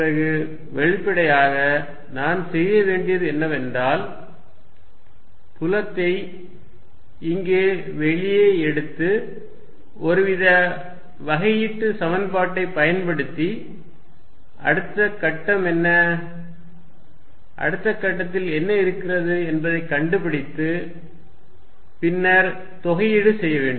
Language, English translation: Tamil, Then; obviously, what I need to do is, take the field out here and using some sort of a differential equation, find out what it is next point, what it is at next point and then keep integrating